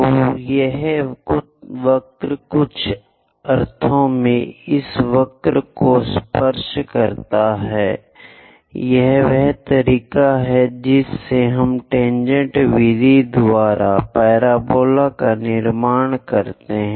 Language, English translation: Hindi, So, this curve in some sense tangent to this curves, this is the way we construct a parabola by tangent method